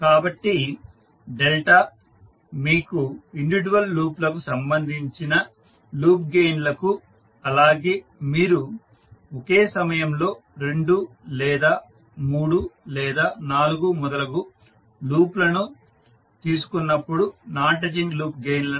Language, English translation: Telugu, So Delta will give you the loop gains related to individual loop gains as well as the non touching loop gains when you take two at a time or three or four and so on at time